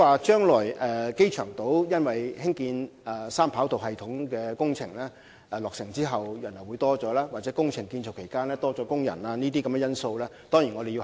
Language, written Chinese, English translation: Cantonese, 至於機場島將來因三跑道系統工程落成而導致人流增多，或工程建造期間工人數目增多等因素，我們當然會加以考慮。, Such factors as an increase in people flow due to the completion of 3RS or the number of workers during the construction period etc will certainly be taken into consideration